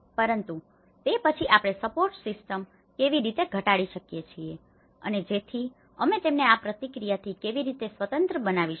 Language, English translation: Gujarati, But then how we can reduce the support system and so that how we can make them independent of this process